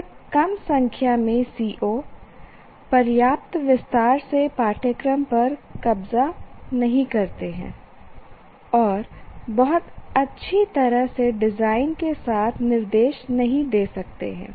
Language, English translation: Hindi, Too small a number of COs do not capture the course in sufficient detail and may not serve instruction design that very well